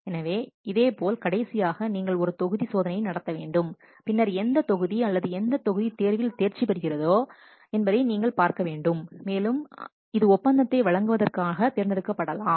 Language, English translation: Tamil, So, similarly at last a volume test you should conduct and then you can what see which proposal or which yes, which proposal passes this volume test and that may be selected for awarding the contract